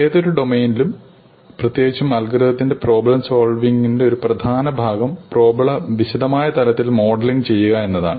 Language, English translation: Malayalam, An important part of problem solving in any domain and in particular in algorithms is the art of modelling the problem at a suitable level of detail